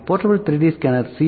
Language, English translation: Tamil, Portable 3D scanner can be either C